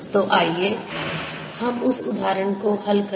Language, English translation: Hindi, so let us calculate that now